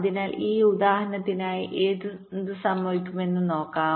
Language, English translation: Malayalam, so let see for this example what will happen for this case